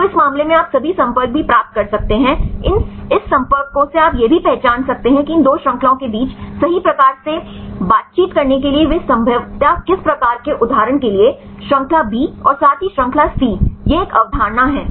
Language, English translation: Hindi, So, in this case you can also get all the contacts, from this contacts you can also identify which type of interactions they are possibly to make right between these 2 chains for example, chain B as well as the chain C, this is one concept